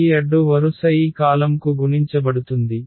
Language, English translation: Telugu, This row will be multiplied to this column